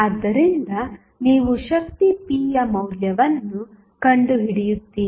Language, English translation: Kannada, So, you will find out the value of power p